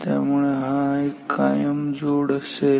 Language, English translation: Marathi, So, this is a permanent joint